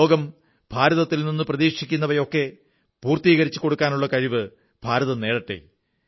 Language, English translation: Malayalam, And may India surely achieve the capabilities to fulfil the expectations that the world has from India